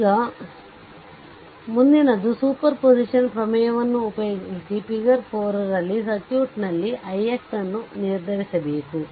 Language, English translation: Kannada, Now, next one is using superposition theorem determine i x in the circuit in the figure 4